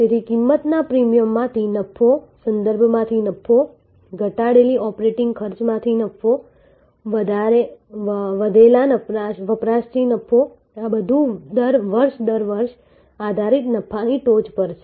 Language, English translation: Gujarati, So, profit from price premium, profit from reference, profit from reduced operating cost, profit from increased usage, these are all that piles up on top of the based profit year after year